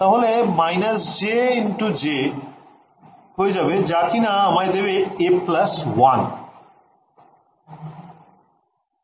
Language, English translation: Bengali, So, minus j into j is going to give me a